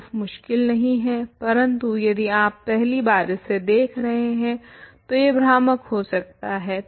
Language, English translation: Hindi, The proof is not difficult, but it could be confusing if you are seeing this for the first time